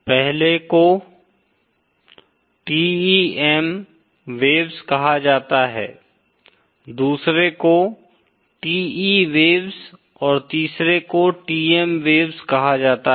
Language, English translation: Hindi, 2nd is called TE waves and 3rd is called TM waves